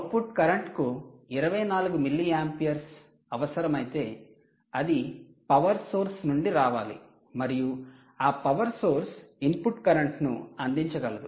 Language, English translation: Telugu, of course, if the output current requires twenty four milli amperes it has to come from the power source and the that power source induced was the power supply